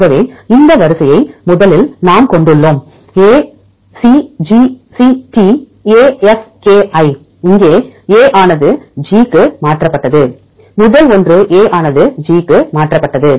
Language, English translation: Tamil, So, the first one we have this sequence ACGCTAFKI here A is mutated to G first one is A is mutated to G